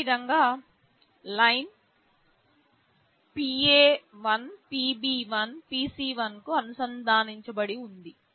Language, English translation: Telugu, Similarly, Line1 is connected to PA1, PB1, PC1